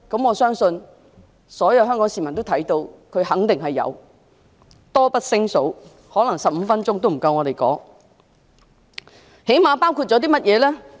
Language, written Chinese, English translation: Cantonese, 我相信全港市民都看到，她肯定有，例子多不勝數 ，15 分鐘可能也不夠我們一一數算。, I believe all Hong Kong people can see that she definitely has . There are so many examples that we may not be able to finish citing them one by one in 15 minutes